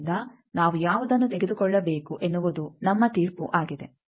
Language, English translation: Kannada, So, which one we will take it is your judgement